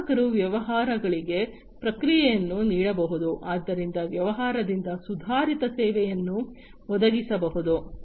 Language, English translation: Kannada, The customers can provide feedback to the businesses, so that the improved services can be offered by the business